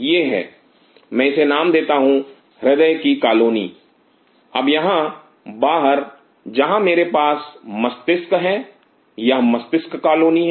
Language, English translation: Hindi, This is the I name it has the heart colony, now out here where I have the brain this is the brain colony